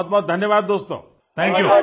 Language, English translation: Hindi, Thanks a lot my friends, Thank You